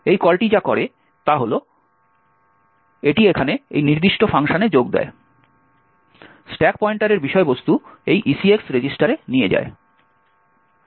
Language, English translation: Bengali, What this call does is that it jumps to this particular function over here, move the contents of the stack pointer into this ECX register